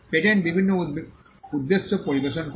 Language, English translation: Bengali, Patent serve different purposes